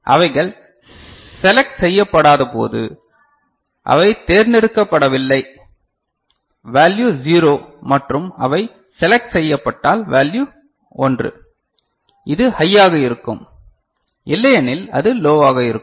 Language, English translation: Tamil, And when they are not selected; they are not selected the value are 0 and if they are selected value is 1, that is high so, otherwise it will be low ok